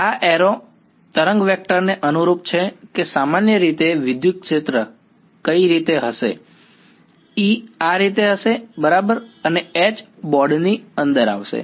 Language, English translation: Gujarati, These arrows correspond to the wave vector which way will the electric field be in general, E will be like this right and H will be into the board right